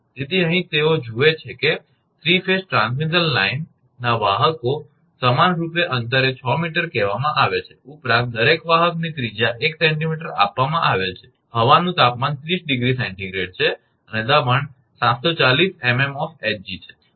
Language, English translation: Gujarati, So, here they look conductors of a 3 phase transmission line are equilaterally spaced say 6 meter apart, the radius of each conductor is given 1 centimetre, the air temperature is 30 degree Celsius and pressure is 740 millimetre of mercury